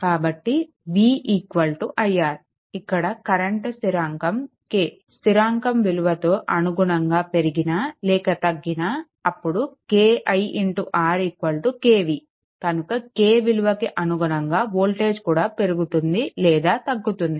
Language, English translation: Telugu, So, v is equal to i R, if the current is increased or if bracket I have written down or decrease by constant k, then voltage increases or decreases correspondingly by k that is ki into R is equal to kv